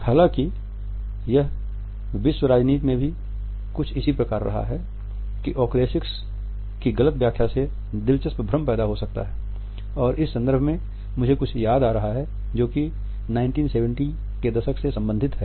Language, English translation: Hindi, However, it has also been same in world politics also that MS interpretation of oculesics can lead to interesting confusions and I would recall something which belongs to the decade of 1970s